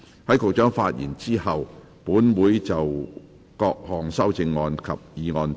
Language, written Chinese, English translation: Cantonese, 在局長發言後，本會會就各項修正案及議案進行表決。, After the Secretaries have spoken this Council will vote upon the amendments and the motion